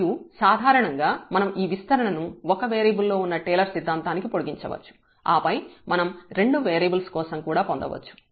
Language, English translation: Telugu, And in general also we can extend that expansion in this Taylor’s theorem of one variable and then we can have for the two variables as well